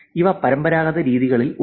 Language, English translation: Malayalam, So, that is traditional